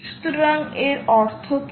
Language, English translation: Bengali, so that is the key